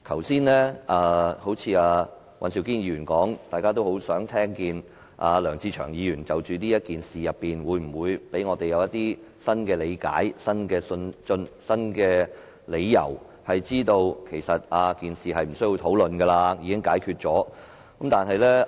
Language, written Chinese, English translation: Cantonese, 正如尹兆堅議員剛才所說，大家都很想聽見梁志祥議員會否就此事給我們新的理解和理由，令我們知道事情已無需討論，已獲解決。, As Mr Andrew WAN said a while ago we are eager to hear if Mr LEUNG Che - cheung would present some new views or justifications on this issue so as to convince us that the matter has been settled and no further discussion is required